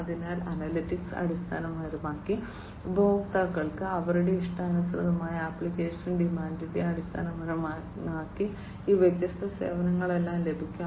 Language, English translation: Malayalam, So, based on the analytics, the customers based on their customized application demand are going to get all these different services